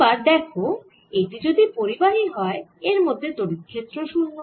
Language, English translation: Bengali, now you see, if this is a conductor, field inside has to be zero